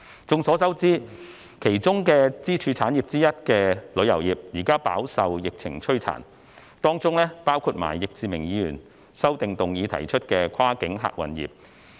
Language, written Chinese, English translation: Cantonese, 眾所周知，其中的支柱產業之一的旅遊業，現時飽受疫情摧殘，當中包括易志明議員修正案提出的跨境客運業。, As we all know one of the pillar industries the tourism industry is suffering greatly from the epidemic including the cross - boundary passenger service sector mentioned in Mr Frankie YICKs amendment